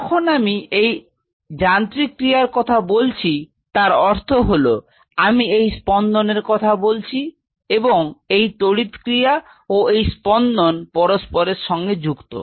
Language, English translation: Bengali, When I talk about mechanical function; that means, what I does telling is the beating and this electrical function and the mechanical functions are coupled with each other